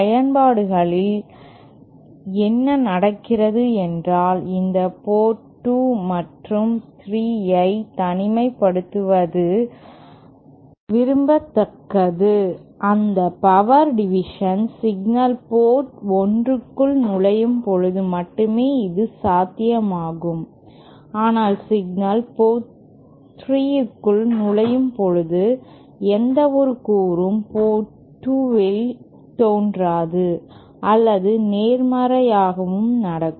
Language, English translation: Tamil, In applications, what happens is it is desirable to isolate these ports 2 and 3 that is only power division is possible only when signal enters port 1 but when signal enters port 3, no component of that will appear at port 2 or vice versa